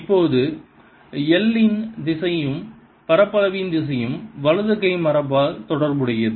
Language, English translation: Tamil, now l direction and direction of are related by the right hand convention